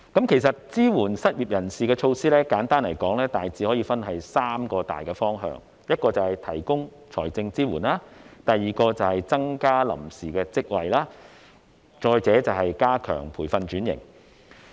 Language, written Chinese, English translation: Cantonese, 其實，支援失業人士的措施，簡單來說大致可以分三大方向：第一，提供財政支援；第二，增加臨時職位；第三，加強培訓轉型。, In fact the measures to support unemployed people can simply be classified into three categories first providing financial assistance; second creating temporary posts; and third strengthening training for occupation switching